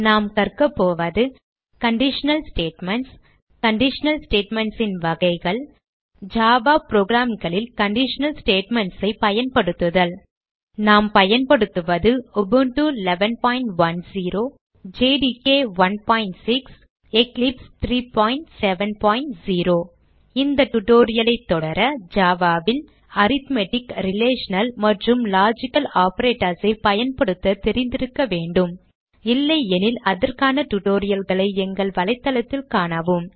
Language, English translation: Tamil, In this tutorial we will learn: * About conditional statements * types of conditional statements and * How to use conditional statements in Java programs For this tutorial we are using: Ubuntu v 11.10 JDK 1.6 and Eclipse 3.7.0 To follow this tutorial you should have knowledge of using * Arithmetic, Relational and Logical operators in Java If not, for relevant tutorials please visit our website which is as shown